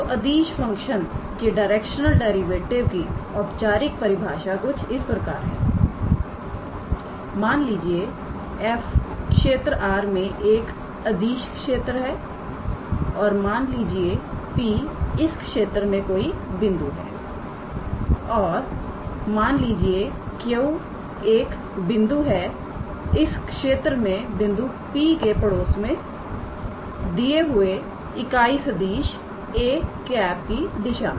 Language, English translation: Hindi, So, the formal definition goes like this let f x, y, z defines a scalar field in a region R and let P be any point in this region and suppose Q is a point in this region in the neighbourhood of the point P in the direction of a given unit vector